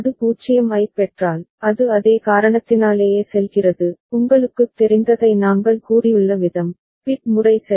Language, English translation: Tamil, And if it receives 0, it goes to a because of the same reason, the way we have said the you know, bit pattern unfolds ok